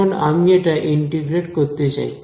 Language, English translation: Bengali, Now, I want to integrate this